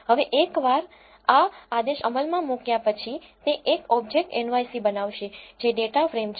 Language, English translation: Gujarati, Now, once this command is executed it will create an object nyc which is a data frame